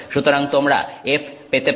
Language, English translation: Bengali, So, you can have F